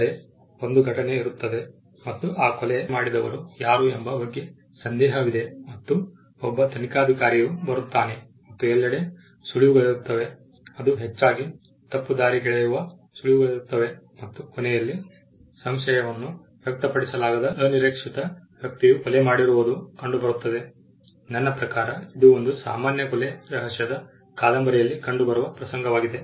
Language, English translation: Kannada, There is an event and there is doubt with regard to who committed that murder and there is an investigator who comes in and there are clues all over the place which are largely misleading and at the end the least expected person is found to have committed the murder, I mean it is a typical in a typical murder mystery